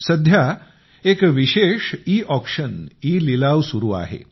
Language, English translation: Marathi, These days, a special Eauction is being held